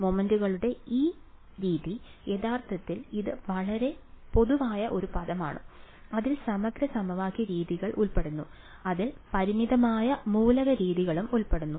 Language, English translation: Malayalam, And this method of moments is actually it is a very general term it includes integral equation methods; it also includes finite element methods ok